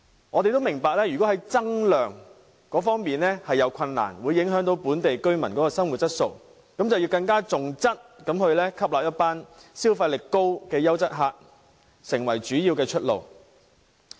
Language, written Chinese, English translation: Cantonese, 我們明白要增加旅客量存在困難，會影響本地居民的生活質素，所以政府更應該重質，以吸納消費力高的優質旅客作為主要出路。, We understand that it is difficult to increase the number of visitor arrivals as this will affect the quality of life of local people . It is therefore more important for the Government to focus on quality by attracting quality tourists with high purchasing power as a way out for the tourism industry